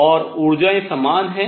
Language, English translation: Hindi, And the energies are the same